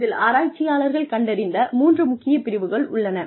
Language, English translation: Tamil, There are three main domains, that have been identified by researchers